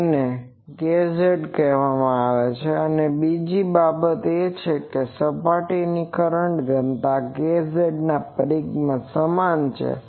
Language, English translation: Gujarati, So, it is called k z that, now the second thing is this surface current density k z is circumferentially uniform